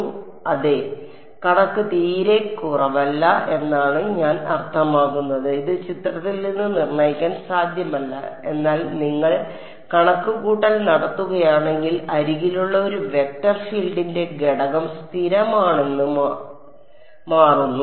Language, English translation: Malayalam, So, yeah the figure is slightly not very I mean which not possible to determine this from the figure, but if you do the calculation it turns out that the component of a vector field along the edge is constant